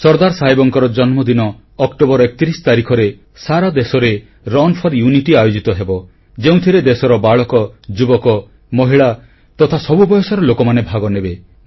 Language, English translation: Odia, On the occasion of the birth anniversary of Sardar Sahab, Run for Unity will be organized throughout the country, which will see the participation of children, youth, women, in fact people of all age groups